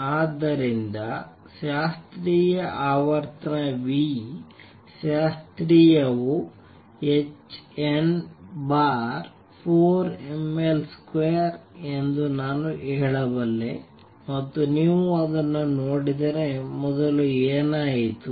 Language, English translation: Kannada, So, I can say that the classical frequency nu classical is h n over 4 m L square and if you see it what happened earlier